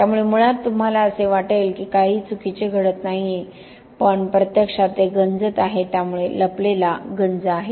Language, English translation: Marathi, So basically you will think that nothing wrong is going on but it is actually corroding, so hidden corrosion